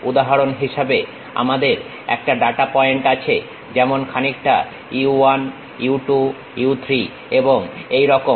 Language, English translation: Bengali, For example, we have a data points something like u 1, u 2, u 3 and so on